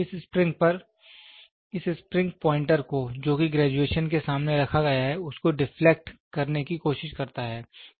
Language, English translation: Hindi, On this springs will in turn try to deflect a pointer which is placed against the graduation